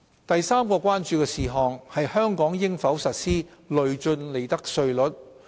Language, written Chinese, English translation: Cantonese, 第三項關注是香港應否實施累進利得稅率。, The third concern is whether Hong Kong should put in place progressive profits tax rates